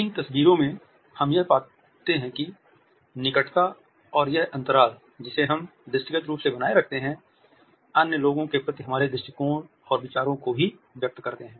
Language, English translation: Hindi, In these photographs also we find that the proximity and this space, which we are maintaining visibly others also conveys our attitude and ideas towards other people